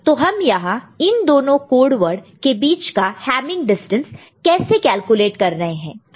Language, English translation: Hindi, So, that is how we calculate the distance hamming distance between these two code words, ok